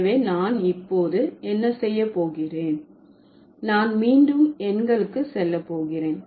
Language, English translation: Tamil, So, what I'm going to do now, I'm going to go back to the numerals